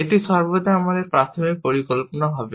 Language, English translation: Bengali, This will always be our initial plan